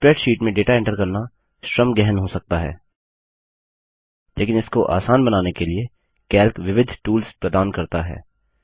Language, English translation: Hindi, Entering data into a spreadsheet can be very labor intensive, but Calc provides several tools for making it considerably easier